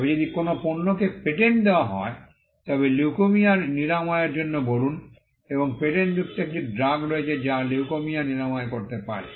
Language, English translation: Bengali, But if a product is patented, say a cure for leukaemia and there is a drug that is patented which can cure leukaemia